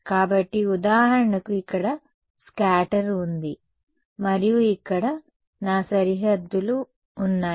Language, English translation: Telugu, So, if for example, there is no there is there is scatter here and my boundaries over here